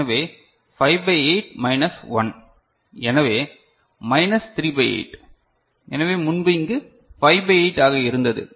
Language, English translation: Tamil, So, 5 by 8 minus 1 so, minus 3 by 8; so, earlier it was 5 by 8 over here